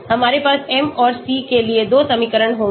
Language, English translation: Hindi, We will have 2 equations for m and c